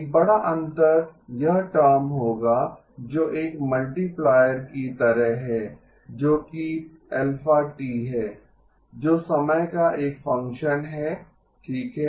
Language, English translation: Hindi, A big difference will be this term which is like a multiplier which is alpha which is a function of time okay